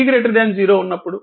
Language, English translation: Telugu, Now, at t is equal to 0